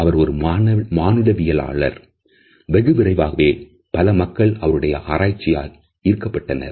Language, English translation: Tamil, He was an anthropologist and very soon we find that several other people were drawn to this research